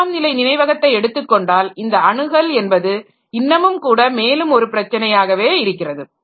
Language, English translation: Tamil, And when it comes to the secondary storage, then access becomes even further an issue